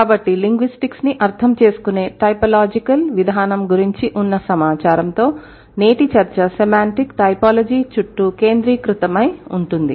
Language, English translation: Telugu, So, with this information about typological approach of understanding of linguistics, today's discussion is going to be center around semantic typology